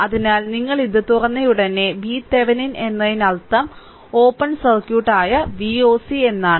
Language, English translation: Malayalam, So, as soon as you open it, this is V Thevenin means V o c that is open circuit